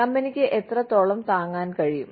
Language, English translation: Malayalam, How much can the company afford